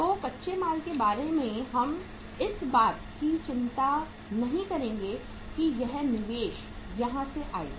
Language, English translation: Hindi, So raw material part we are not going to worry about that from where this investment will come